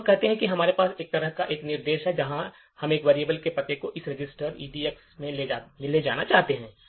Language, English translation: Hindi, So let us say that we have an instruction like this where we want to move the address of a variable to this register EDX